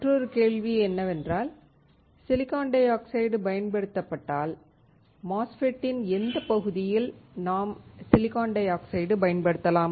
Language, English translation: Tamil, Another question is if silicon dioxide is used, which part of the MOSFETs can we use silicon dioxide